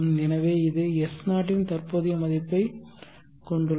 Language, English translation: Tamil, So that it has a present worth of S0